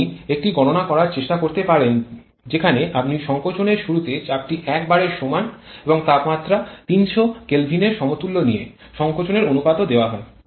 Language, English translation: Bengali, You can try to do a calculation where you take the pressure at the beginning of compression to be equal to 1 bar and temperature equal to 300 Kelvin, compression ratio is also given